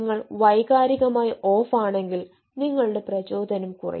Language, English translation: Malayalam, if you are emotionally off, your motivation will go down